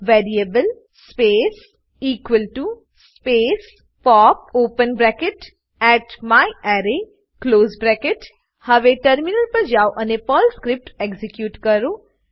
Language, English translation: Gujarati, The syntax for this is $variable space = space pop open bracket @myArray close bracket Now switch to the terminal and execute the Perl script